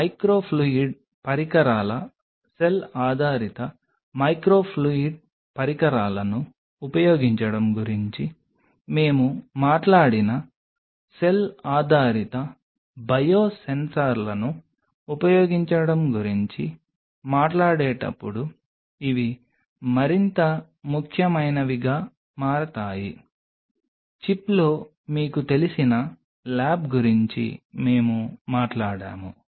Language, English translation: Telugu, But these becomes more and more important as we talk about using cell based biosensors we talked about using microfluidic devices cell based microfluidic devices we talked about you know lab on a chip